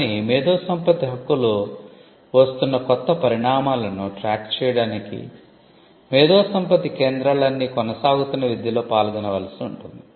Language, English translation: Telugu, Keeping track of developments new developments in intellectual property right requires IP centres to also participate in ongoing education